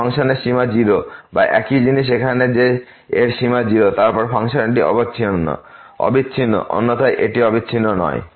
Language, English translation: Bengali, Whether the limit of this function is 0 or same thing here that the limit of this is 0; then, the function is continuous, otherwise it is not continuous